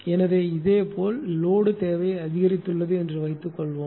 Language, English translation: Tamil, So, similarly suppose suppose load demand has increased